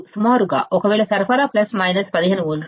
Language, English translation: Telugu, Most of the time what we use is, plus minus 15 volts